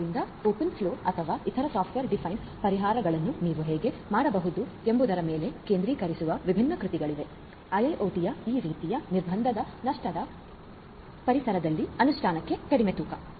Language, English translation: Kannada, So, there are consequently different works that are focusing on how you can make in open flow or other software defined solutions, light weight for implementation in these kind of constant lossy environments of IIoT